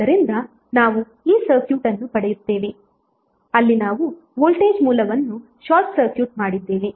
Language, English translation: Kannada, So we will get this circuit where we have short circuited the voltage source